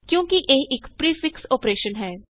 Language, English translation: Punjabi, As it is a prefix operation